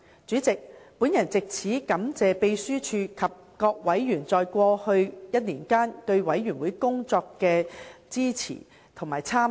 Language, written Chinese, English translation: Cantonese, 主席，我藉此感謝秘書處及各委員在過去1年間對事務委員會工作的支持和參與。, President I take this opportunity to thank the Secretariat and various members for their support to and participation in the work of the Panel for this year